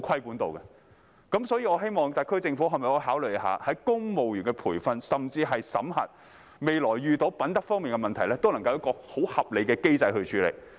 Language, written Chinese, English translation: Cantonese, 故此，我希望特區政府可否在公務員培訓，甚至審核方面作出考慮，若未來遇到品德問題，都能夠有一個很合理的機制處理。, That is why I hope the SAR Government may review the training or even appraisal of civil servants so that it can come up with a reasonable mechanism to deal with any integrity issues in the future